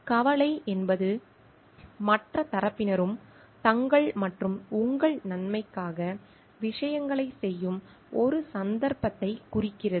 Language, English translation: Tamil, Concern denotes a case where other party also does things for their as well as your good